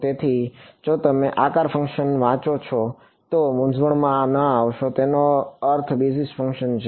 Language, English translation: Gujarati, So, if you read shape function do not get confused it means basis function